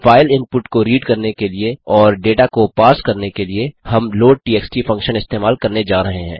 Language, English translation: Hindi, To read the file input and parse the data, we are going to use the loadtxt function